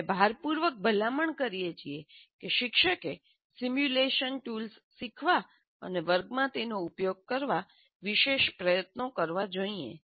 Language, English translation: Gujarati, And what we strongly recommend, teachers must make special effort to learn the simulation tools and use them in the class